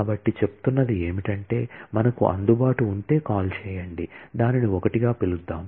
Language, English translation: Telugu, So, we are saying that, if you had the reachability then call, let us call it in one